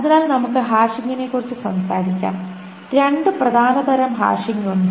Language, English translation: Malayalam, Hashing there are two main types of hashing